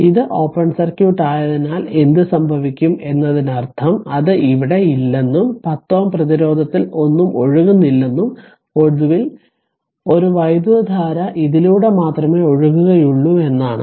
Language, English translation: Malayalam, So, in that case what will happen as this is open circuit means it is not there and that means, nothing is flowing in the 10 ohm resistance, and finally a current will flow through this only right